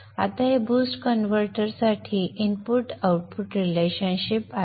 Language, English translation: Marathi, Now this is the input output relationship for the boost converter